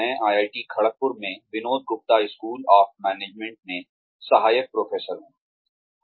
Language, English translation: Hindi, I am an assistant professor, in Vinod Gupta school of management, at IIT Kharagpur